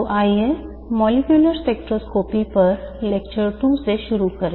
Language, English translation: Hindi, So let's start with lecture two on molecular spectroscopy